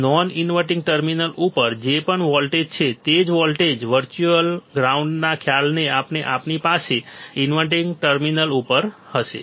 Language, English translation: Gujarati, Whatever voltage is at this non inverting terminal, same voltage, we will have at the inverting terminal because of the concept of virtual ground